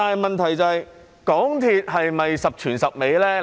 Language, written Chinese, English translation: Cantonese, 問題是，港鐵是否十全十美呢？, The question is whether MTRCL is perfect